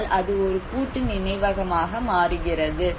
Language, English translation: Tamil, And so that it becomes a memory a collective memory